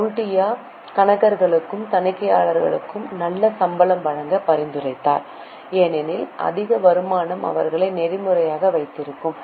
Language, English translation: Tamil, Kautilay suggested good salaries be paid to accountants as well as auditor as higher income would keep them ethical